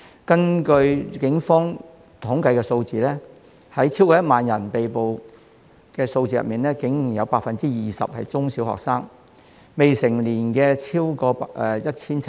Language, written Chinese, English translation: Cantonese, 根據警方的統計數字，在超過1萬名被捕人士中，竟然有 20% 是中小學生，未成年者超過 1,700。, According to the statistics of the Police among the 10 000 - plus arrestees 20 % were secondary and primary students; and more than 1 700 were minors